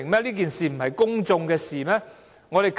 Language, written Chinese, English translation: Cantonese, 這件事不是公眾的事嗎？, Was it not a matter of public concern?